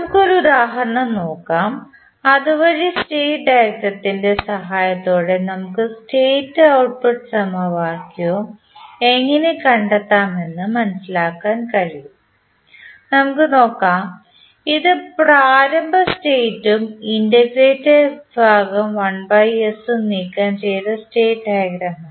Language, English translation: Malayalam, Let us, take one example so that we can understand how we can find out the state and output equation with the help of state diagram, let us see this is the state diagram where we have removed the initial states as well as the 1 by s that is the integrator section